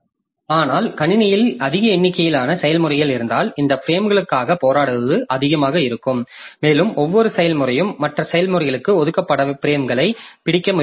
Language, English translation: Tamil, But in case of large number of processes in the system, so fighting for these frames will be more and each process may try to grab frames which are allocated to other processes